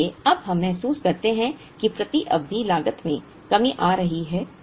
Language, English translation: Hindi, So, now we realize that the per period cost is coming down